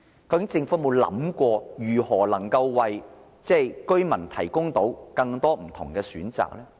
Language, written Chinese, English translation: Cantonese, 究竟政府有沒有想過，如何能夠為居民提供更多不同的選擇呢？, After all has the Government ever thought about how to provide the residents with more different choices?